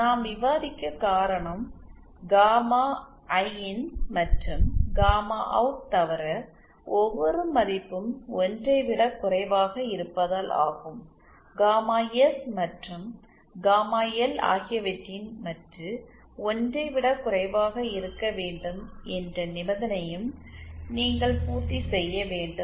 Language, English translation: Tamil, The reason we are discussing is because every value recall in addition to gamma IN and gamma out be lesser than 1, you also have to satisfy the condition that modulus of gamma S and gamma L should be lesser than 1